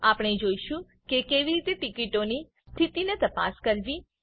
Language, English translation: Gujarati, We will see how to check the status of tickets